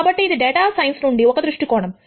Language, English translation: Telugu, So, this is one viewpoint from data science